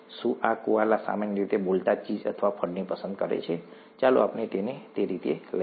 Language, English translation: Gujarati, ‘Do Kualas Prefer Cheese Or Fruit Generally Speaking’, let us have it that way